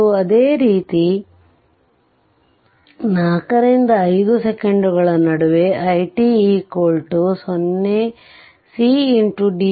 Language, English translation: Kannada, And similarly in between 4 and 5 second, i t is equal to c into dvt by dt